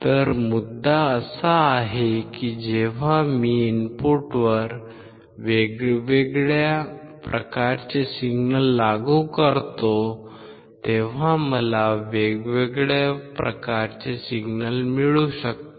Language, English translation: Marathi, So, the point is that I can get different form of signals when I apply different form of signals at the input